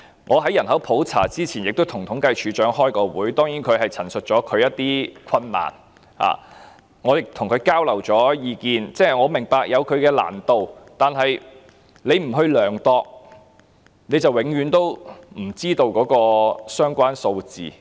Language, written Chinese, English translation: Cantonese, 我在人口普查前亦曾與政府統計處處長開會，當然他陳述了他的一些困難，我亦與他交流意見，我明白這項工作有難度，但處方不去統計，便永遠不知道相關的數字。, When I met with the Commissioner for Census and Statistics before the Population Census he of course stated some of his difficulties and I also exchanged views with him . I understand that it is a difficult task but if CSD does not conduct such a statistics project we will never know the relevant figures